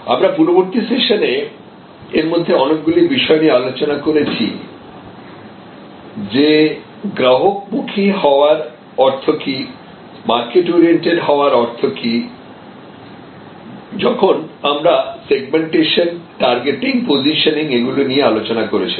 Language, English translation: Bengali, We have discussed many of these issues that what does it mean to be customer oriented in the earlier sessions, what does it mean to be market oriented in the earlier session about when we discussed about segmentation, targeting, positioning